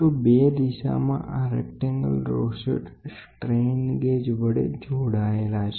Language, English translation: Gujarati, So, 2 directions a rectangle rosette is composing of strain gauges it will